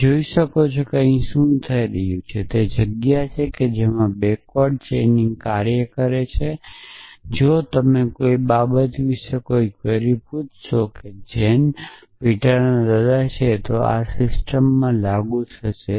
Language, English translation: Gujarati, So, you can see what is happening here that is the space in which backward chaining operates if you ask a query about something is Jane the grandfather of Peter then this system will apply